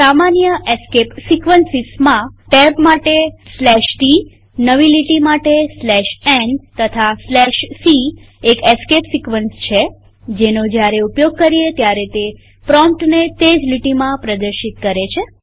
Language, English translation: Gujarati, Common escape sequences include \t for tab, \n for new line and \c is a escape sequence which when used causes the prompt to be displayed on the same line